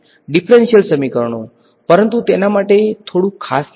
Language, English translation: Gujarati, Differential equations, but a little bit small special name for it